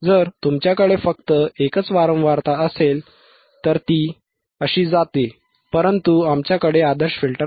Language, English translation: Marathi, If you have only one frequency, only one frequency then it goes like this right, but we have, we do not have ideal filter we do not have ideal filter